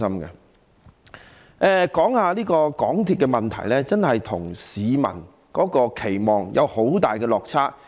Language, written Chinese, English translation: Cantonese, 再說說有關港鐵的問題，它真的與市民的期望有很大落差。, Further on the issues related to MTRCL it really has fallen far short of public expectations